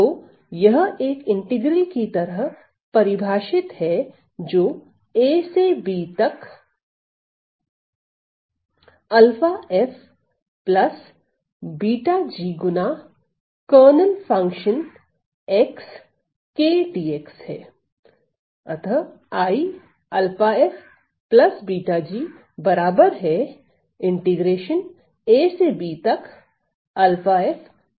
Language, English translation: Hindi, So, then this is going to be defined as integral from a to b alpha of f plus beta of g times the kernel function x comma k d x